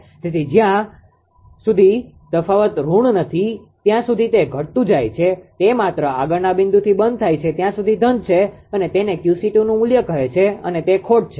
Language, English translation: Gujarati, So, as no as long as the difference is negative it is decreasing as long as it is positive just previous point to stop right and that is called Q c 2 value and this is the loss right